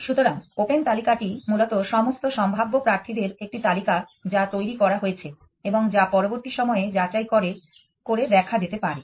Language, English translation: Bengali, So, the open list is basically a list of all possible candidates that it is generated which could be inspect that some later point of time